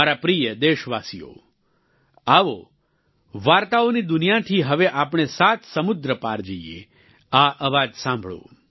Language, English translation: Gujarati, My dear countrymen, come, let us now travel across the seven seas from the world of stories, listen to this voice